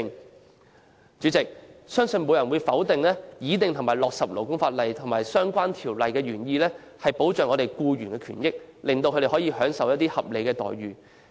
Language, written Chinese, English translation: Cantonese, 代理主席，相信沒有人會否定，擬訂和落實勞工法例及相關條例，原意是保障僱員權益，讓他們享有合理待遇。, Deputy President I believe no one will deny that the original intent of formulating and implementing the labour law and relevant legislation is to protect employees rights and interests and enable them to receive reasonable remunerations